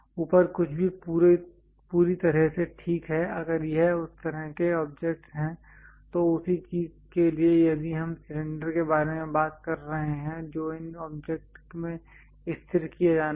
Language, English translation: Hindi, Anything above is perfectly fine if it is that kind of objects, for the same thing if we are talking about cylinder which has to be fixed in these object